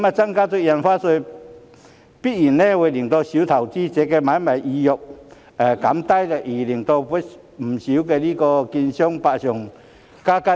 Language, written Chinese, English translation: Cantonese, 增加印花稅必然會降低小投資者的買賣意欲，令不少券商百上加斤。, The increase in Stamp Duty will inevitably deter small investors from engaging in trading thereby putting a heavier burden on many securities dealers